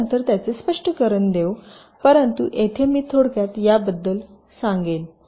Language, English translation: Marathi, we shall explain it later, but here let me just briefly tell you about ah